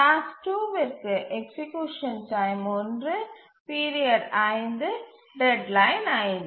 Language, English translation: Tamil, Task two, execution time one, period five, deadline five